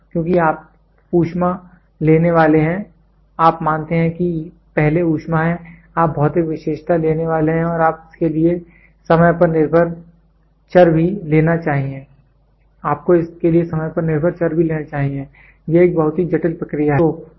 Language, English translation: Hindi, Because you are supposed to take heat, you are supposed first is heat, you are supposed to take material property and you are also supposed to take a time dependent variable for this, it is a very complicated process